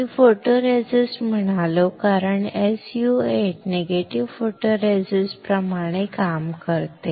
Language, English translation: Marathi, I said photoresist, because SU 8 works like a negative photoresist